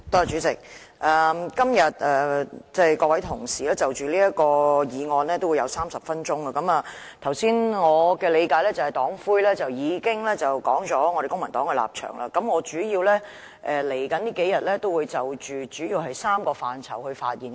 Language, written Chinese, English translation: Cantonese, 主席，各位同事就此議案都會有30分鐘發言時間，我們的黨魁剛才已經道出了公民黨的立場，我在未來兩天主要會就3個範疇發言。, President each Member will have 30 minutes to speak on this motion . I understand that the Chairman of my political party has already stated the stance of the Civic Party . In the coming two days I will mainly speak on three policy areas